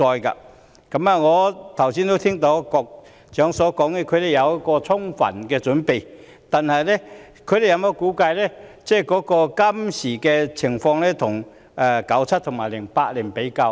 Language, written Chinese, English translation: Cantonese, 我剛才聽到局長說當局已有充分準備，但有否將現今的情況與1997年及2008年比較？, I heard the Secretary say that the authorities are fully prepared for the challenge but have they compared the current situation with those in 1997 and 2008?